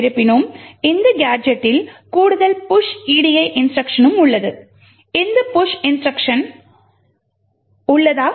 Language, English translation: Tamil, However, this gadget also has an additional push edi instruction also present, why does this push instruction present